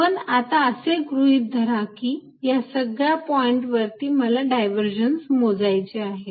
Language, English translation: Marathi, But, assume these are boxes and at each point I apply to calculate the divergence